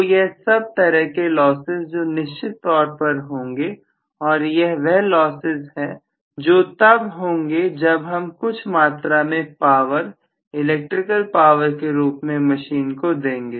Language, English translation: Hindi, So, this will be lost definitely as some of the losses after I give certain amount of power to my machine in the form of electrical power, Right